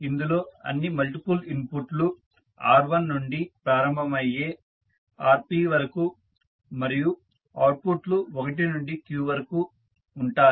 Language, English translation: Telugu, Where all multiple inputs starting from R1 to Rp and outputs are from 1 to q